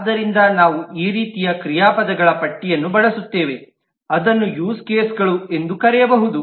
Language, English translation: Kannada, So we will come up with this kind of a list of verbs which could be termed into use cases